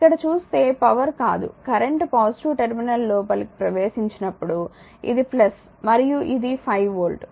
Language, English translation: Telugu, If you look into that here power entering into the sorry current entering into the positive terminal this is plus right and this is the 5 volt